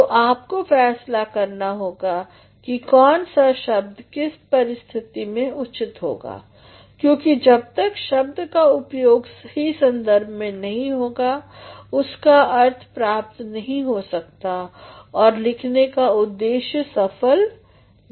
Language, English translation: Hindi, Now, you have to decide which word will be suitable in which situation because, unless and until a word is used in a proper context, the meaning cannot be found rather the purpose of writing is defeated